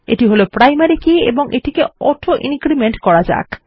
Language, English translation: Bengali, This is the primary key and we want it to make auto increment